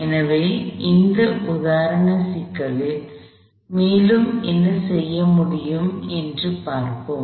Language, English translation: Tamil, So, let us look at this example problem, and see what we can make of this